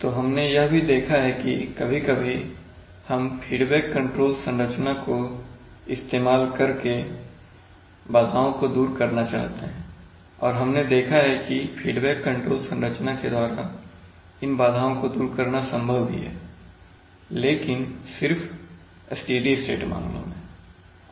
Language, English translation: Hindi, So now we have also seen for example we have seen that using feedback control structures we have sometimes wanted to take care of disturbances and we have seen that it is possible, it is possible to take care of disturbances also in the feedback control structure but only in a, in the steady state case